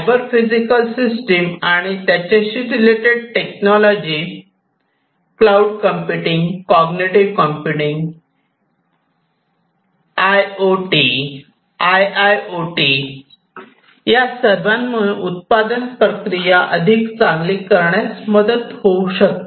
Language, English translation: Marathi, Cyber physical systems we have talked a lot in a previous lecture also associated technologies such as cloud computing, cognitive computing, IoT or IIoT; all of these can help in making manufacturing processes sorry, manufacturing processes better